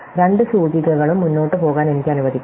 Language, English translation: Malayalam, So, I can let both the indices go forward